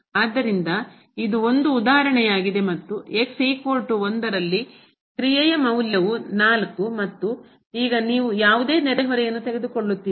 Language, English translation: Kannada, So, this is a for instance and at x is equal to 1 the value of the function is 4 and now, you take any neighborhood